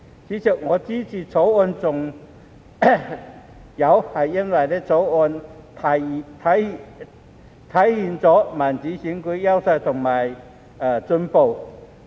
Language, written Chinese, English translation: Cantonese, 主席，我支持《條例草案》還因《條例草案》體現民主選舉的優化和進步。, President I support the Bill also because it embodies the enhancement and progress of democratic elections